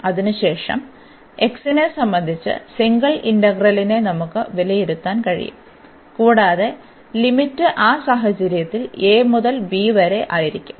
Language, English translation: Malayalam, And then, at the end we can evaluate the single integral with respect to x and the limit will be a to b in that case